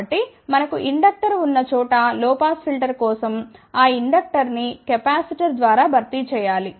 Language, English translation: Telugu, So, for low pass filter wherever we have a inductor, that inductor is to be replaced by capacitor